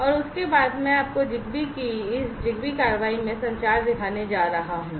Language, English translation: Hindi, And thereafter, I am going to show you this ZigBee in ZigBee communication in action